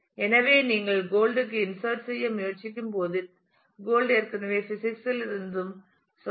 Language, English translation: Tamil, So, as you try to insert gold and said gold is also from physics which we already had